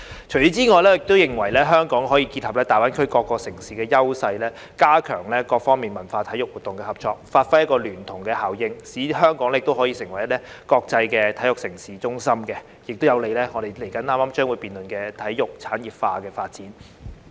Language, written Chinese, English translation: Cantonese, 此外，我認為香港可以結合大灣區各城市的優勢，加強各方在文化及體育活動的合作，發揮聯動效應，使香港成為國際體育盛事中心，有利於我們稍後將會辯論的體育產業化的發展。, In addition I believe Hong Kong can combine the strengths of various cities in GBA and enhance the cooperation of various parties in cultural and sports activities so as to bring about a joint effect and turn Hong Kong into a centre of international sports events which will be conducive to the development of sports industrialization that we will debate later